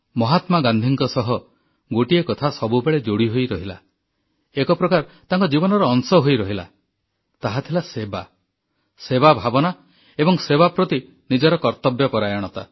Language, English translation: Odia, One attribute has always been part & parcel of Mahatma Gandhi's being and that was his sense of service and the sense of duty towards it